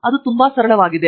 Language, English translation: Kannada, It is as simple as that